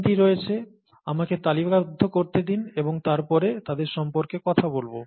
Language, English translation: Bengali, There are three of them, let me list and then talk about them